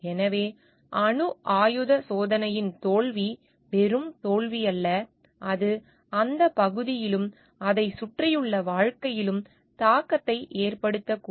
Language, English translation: Tamil, So, like failure of a nuclear test is not just a failure, it may have for reaching impact of the area as well as in the life surrounding it